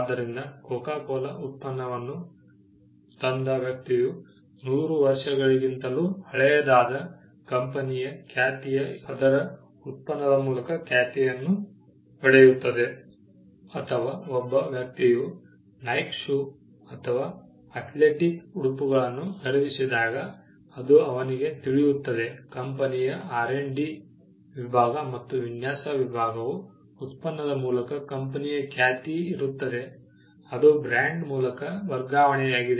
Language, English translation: Kannada, So, a person who brought a Coca Cola product would know that the reputation of a company that is more than 100 years old would stand by its product or when a person purchased a Nike shoe or an athletic apparel then, he would know that, the company’s R&D department and the design department would stand by the product and there is a reputation of the company, that has transferred through the brand